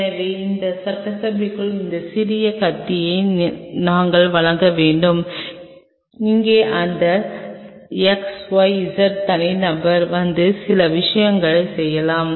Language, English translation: Tamil, So, we have to provide that small knish within this assembly where that xyz individual can come and do certain things